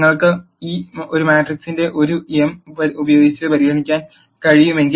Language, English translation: Malayalam, If you can consider a matrix A m by n